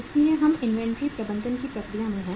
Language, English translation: Hindi, So we are in the process of inventory management